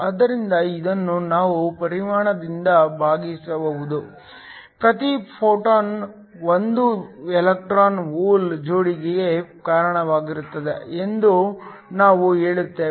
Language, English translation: Kannada, So, This we can divide by the volume, we also say that each photon gives rise to 1 electron hole pair